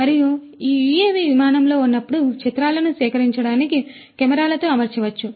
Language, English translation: Telugu, And, this UAV could be fitted with cameras to collect images while it is on flight